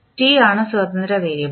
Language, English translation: Malayalam, t is the independent variable